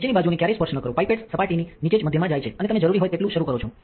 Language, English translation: Gujarati, Never touch the bottom nor the sides, the pipette goes in the middle just below the surface and you start up the amount that you need